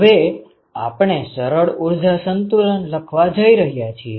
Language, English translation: Gujarati, So, we are going to write a simple energy balance